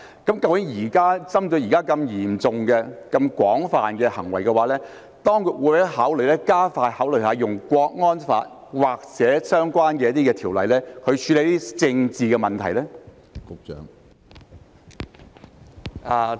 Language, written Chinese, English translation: Cantonese, 究竟針對現時如此嚴重和廣泛的行為，當局會否加快考慮引用《香港國安法》或相關條例處理這些政治問題呢？, Will the authorities speed up the consideration of invoking the Hong Kong National Security Law or related ordinances to deal with these political issues in light of such serious and widespread acts?